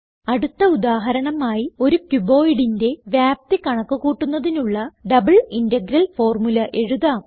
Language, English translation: Malayalam, Next let us write an example double integral formula to calculate the volume of a cuboid